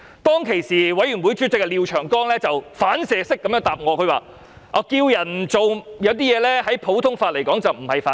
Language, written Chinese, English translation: Cantonese, 當時法案委員會主席廖長江議員反射式回答我："呼籲別人不要做某些事情，在普通法上並不是犯法"。, At that time the Chairman of the Bills Committee Mr Martin LIAO gave a reflexive response that calling on others not to do certain things is not an offence under the common law